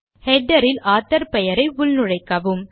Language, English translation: Tamil, Insert the author name in the header